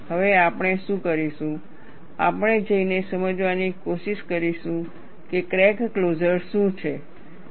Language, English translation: Gujarati, Now, what we will do is, we will try to go and understand, what is crack closure